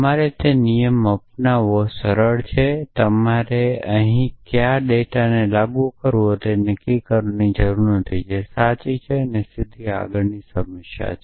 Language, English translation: Gujarati, It is simpler to simpler you take that rule all need to decide on which data to apply here that is of true still not a straight forward problem